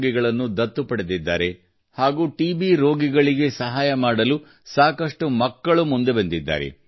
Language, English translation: Kannada, There are many children who have come forward to help TB patients